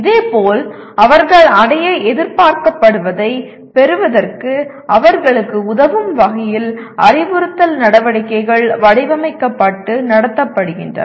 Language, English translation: Tamil, Similarly, instructional activities are designed and conducted to facilitate them to acquire what they are expected to achieve